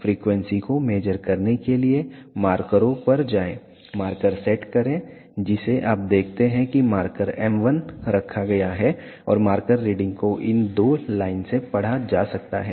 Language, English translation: Hindi, To measure the frequency go to markers, set the marker you see that marker m 1 has been placed and the marker reading can be read from these two line